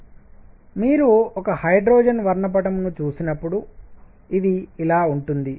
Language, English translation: Telugu, So, when you look at a hydrogen spectrum, this is what it is going to look like